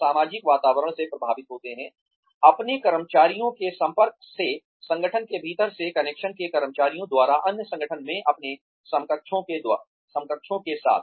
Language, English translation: Hindi, They are influenced by the social environment, by the exposure of their employees, from within the organization, by the connections employees have with their counterparts in other organizations